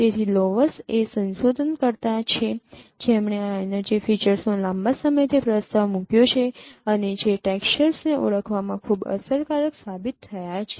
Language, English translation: Gujarati, So laws is a researcher who has proposed long back this energy features and which have been found very effective in identifying textures